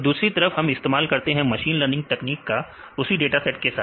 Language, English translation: Hindi, So, on the other hand if we use some machine learning techniques it is the same data set